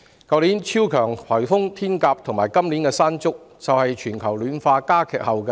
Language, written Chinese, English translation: Cantonese, 去年的超強颱風"天鴿"及今年的"山竹"，正是全球暖化加劇的後果。, The super typhoons Hato of last year and Mangkhut of this year were the products of increased global warming